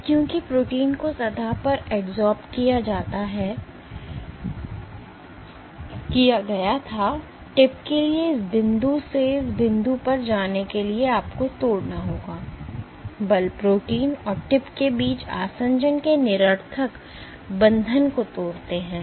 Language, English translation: Hindi, Now, because the protein was adsorbed onto the surface, for the tip to go from this point to this point you have to break; forces break the nonspecific bonds of adhesion between the protein and the tip